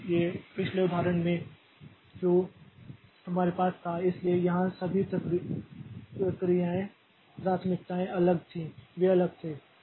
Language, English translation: Hindi, So, in the previous example that we had, so here all the priorities were different, they were distinct